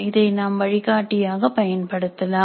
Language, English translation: Tamil, They can be used as guidelines